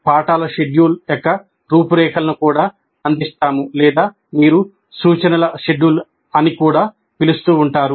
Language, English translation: Telugu, We also provide an outline of the lesson schedule or what you may call as instruction schedule